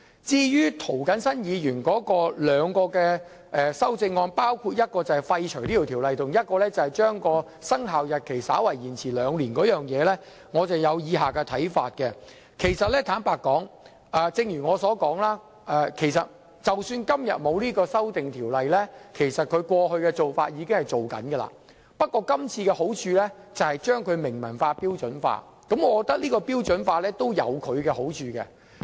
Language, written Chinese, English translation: Cantonese, 至於涂謹申議員的兩項修正案，包括廢除這項《修訂規則》和將其生效日期延遲兩年，我有以下看法：坦白說，正如我所說，即使今天沒有《修訂規則》，其實過去的做法會繼續進行，不過這次修訂可以將做法明文化、標準化，而標準化有其好處。, As for the two amendments raised by Mr James TO including the repeal of the Amendment Rules and the deferral of their effective date for two years I have the following views frankly as I have said the previous practices will continue to be adopted if the Amendment Rules are not moved today . But the amendment this time facilitates documentation and standardization which is desirable